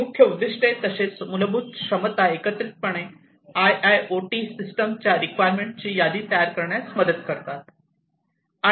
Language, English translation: Marathi, So, these key objectives plus the fundamental capabilities together would help in driving the listing of the system requirements of the IIoT system to be deployed